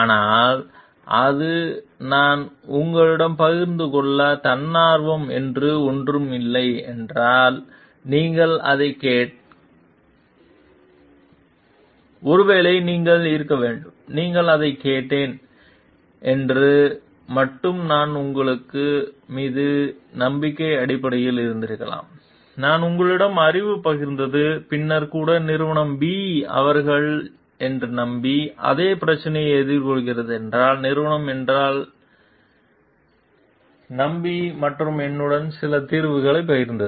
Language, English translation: Tamil, But if it is not something that I have volunteer to share with you and you have asked for it, maybe then you have to be like, you have asked for it, they not have been only on the base of trust that I have on you, I have shared knowledge with you, then even if the company B faces the same problem, because they have trusted me, company have trusted me and shared some solution with me